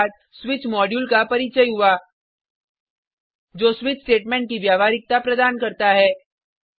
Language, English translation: Hindi, After that, Switch module was introduced, which provided the functionality of switch statement